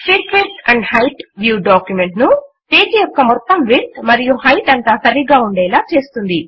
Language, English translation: Telugu, The Fit width and height view fits the document across the entire width and height of the page